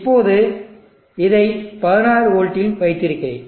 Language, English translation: Tamil, Now let us say I will keep this at 16v